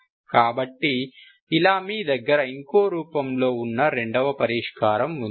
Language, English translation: Telugu, So what you have, this is another solution, this is the second solution